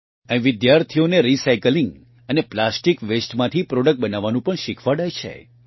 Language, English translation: Gujarati, Here students are also taught to make products from recycling and plastic waste